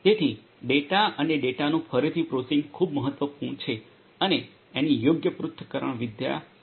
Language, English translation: Gujarati, So, data and the processing of the data again is very important and suitable analytics will have to be performed